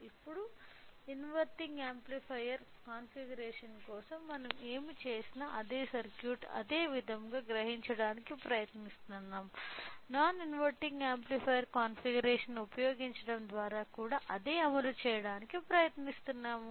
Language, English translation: Telugu, Now, we will try to realises the same circuit, the same way, whatever we have done for the inverting amplifier configuration we will also try to implement the same by using non inverting amplifier configuration to